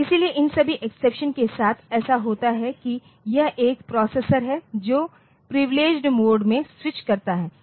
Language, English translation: Hindi, So, for all these exceptions so that it happens like this is a processor switches to privileged mode